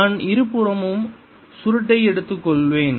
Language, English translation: Tamil, i have taken curl on both sides